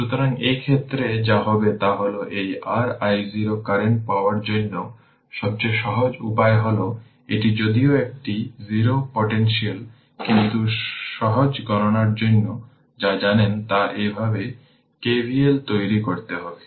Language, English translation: Bengali, So, in this case, what what will happen that ah to get this your i 0 current then ah simplest way what you can do is this is ah although this is a 0 potential, but what your you know for easy calculation say we can make it KVL like this